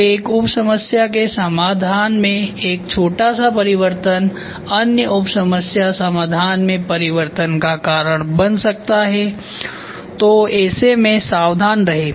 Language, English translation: Hindi, When a small change in the solution of one sub problem can lead to a change in other sub problem solution so be careful